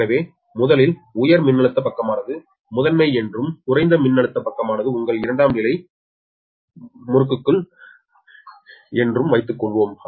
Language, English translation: Tamil, so first, ah, let us assume high voltage side is primary and low voltage side is ah, your secondary windings